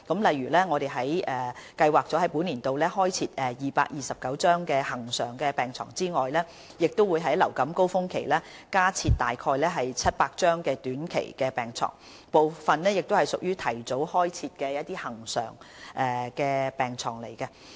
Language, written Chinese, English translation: Cantonese, 例如我們計劃在本年度開設229張恆常病床，亦會在流感高峰期加設大約700張短期病床，部分亦屬於提早開設的恆常病床。, For instance we plan to provide 229 permanent hospital beds this financial year; during the influenza surge we will provide roughly 700 additional beds on a short - term basis and some of these beds are in fact permanent beds provided ahead of schedule